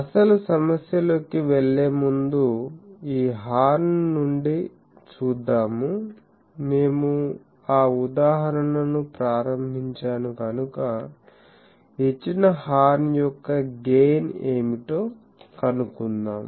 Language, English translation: Telugu, So, before going into the actual problem, let us also find for the given horn since we have started that example what will be the gain of this horn